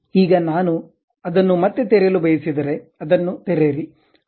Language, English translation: Kannada, Now, if I would like to reopen that, open that